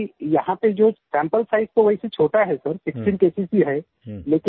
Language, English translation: Hindi, Here the sample size is tiny Sir…only 16 cases